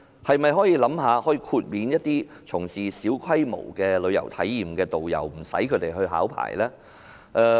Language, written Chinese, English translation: Cantonese, 是否可考慮豁免從事小規模旅遊體驗的導遊無須考牌呢？, Is it possible to consider waiving tourist guides providing small - scale travel experience tour - guiding service from obtaining licence?